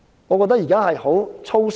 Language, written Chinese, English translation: Cantonese, 我覺得現時政府很粗疏。, I think the Government has been sloppy with this